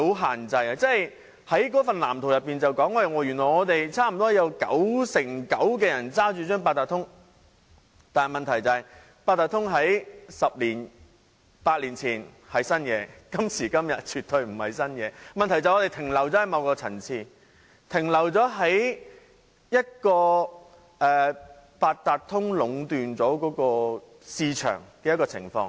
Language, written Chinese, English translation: Cantonese, 《香港智慧城市藍圖》指出原來香港有九成九的人擁有八達通，但問題是，八達通在十年八載前是新事物，但在今時今日絕對不是新鮮事物，問題便是我們停留在某個層次，停留在由八達通壟斷市場的情況。, The Smart City Blueprint for Hong Kong points out that 99 % of people in Hong Kong possess an Octopus card but the problem is the Octopus card was something new eight or 10 years ago but nowadays it is by no means a novelty . The problem is that we have remained at a certain level or in the situation of the Octopus card monopolizing the market